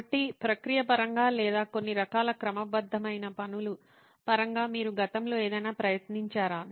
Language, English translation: Telugu, So in terms of process or in terms of some kinds of systematic way, have you guys attempted something in the past